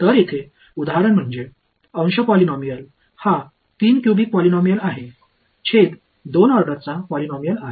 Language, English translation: Marathi, So, this example over here the numerator is a polynomial of order 3 cubic polynomial, denominator is a polynomial order 2